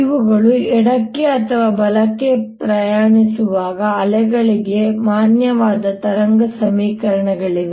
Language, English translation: Kannada, this are valid wave equation for wave travelling to the left or travelling to the right